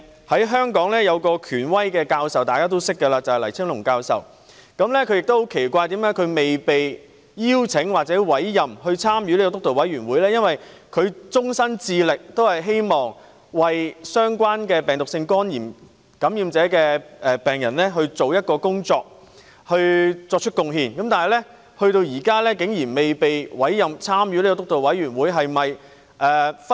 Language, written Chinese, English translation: Cantonese, 香港一位肝臟權威教授，大家都認識的黎青龍教授，他對於自己沒有被邀請或委任加入督導委員會感到奇怪，因為他一直致力於病毒性肝炎的相關工作，為此作出貢獻，但至今仍未被委任參與督導委員會。, A well - known authority in hepatology in Hong Kong Prof LAI Ching - lung finds it strange that he has not been invited or appointed to the steering committee because he has all along been committed to the work relating to viral hepatitis and has made positive contribution in this field . As yet he has not been appointed to the steering committee